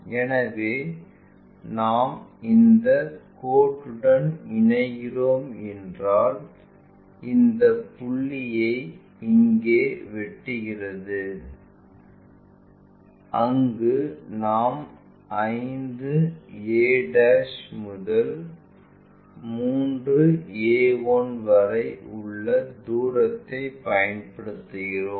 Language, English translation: Tamil, So, if we are joining this line it intersect this point here, one second one where we are using a relation 5 a' coming from 3a 1'